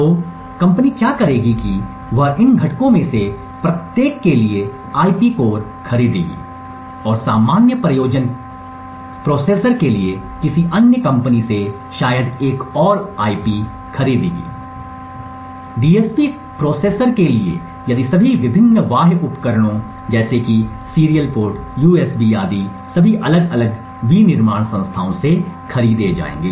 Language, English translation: Hindi, So what the company would do is that it would purchase IP cores for each of these components and IP core for the general purpose processor another IP core maybe from another company, for the DSP processor if all the various peripherals such as the serial port USB the codec and so on would all be purchased from different manufacturing entities